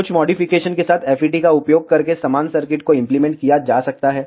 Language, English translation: Hindi, Similar circuits can be implemented using FETs with some modifications